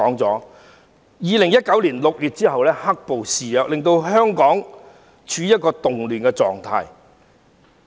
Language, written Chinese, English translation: Cantonese, 在2019年6月後，"黑暴"肆虐，令香港處於一個動亂狀態。, After June 2019 Hong Kong was in a state of turmoil due to the rampant black - clad violence